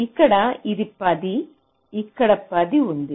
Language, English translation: Telugu, here also it is ten, here also it is ten